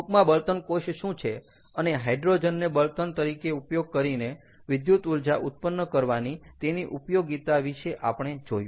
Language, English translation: Gujarati, ok, so this is how, in nutshell, what is a fuel cell and an application of generation of electricity using hydrogen as a fuel